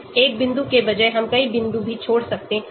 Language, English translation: Hindi, Instead of one point we can also leave many points